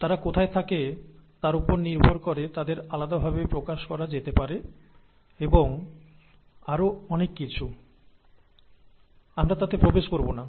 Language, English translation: Bengali, They could be expressed differently depending on where they reside and so on and so forth, we will not get into that